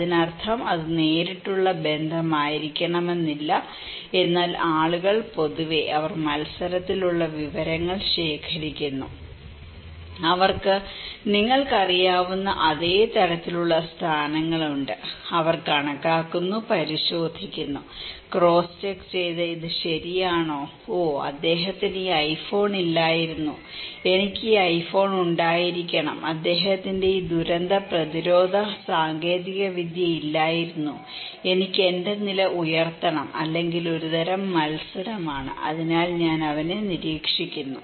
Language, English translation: Malayalam, That means it is not necessarily to be direct relationship, but people generally collect information with whom they have competitions, they have a same kind of positions you know, they tally, the check; cross check this is okay, oh he did not have this iPhone, I should have this iPhone, he did not have this disaster preventive technology, I should have to raise my status or a kind of competition so, I watch him